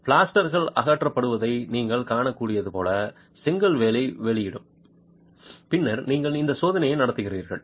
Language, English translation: Tamil, It is cumbersome and as you can see plaster is removed, the brickwork is exposed and then you conduct this test